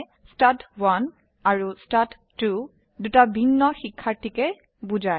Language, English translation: Assamese, That is, stud1 and stud2 are referring to two different students